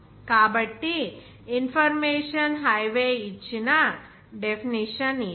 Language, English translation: Telugu, So this is the definition given by information Highway